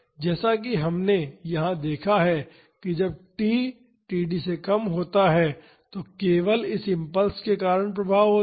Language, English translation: Hindi, As, we have seen here when t is less than td only the effect due to this impulse is there